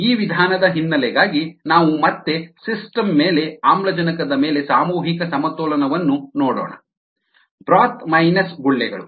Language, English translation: Kannada, let us, for the ah background to this method, let us again look at mass balance on oxygen over the system broth minus bubbles